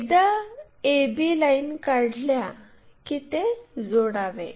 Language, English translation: Marathi, Once a b lines are there join them